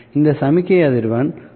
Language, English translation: Tamil, This is the angular frequency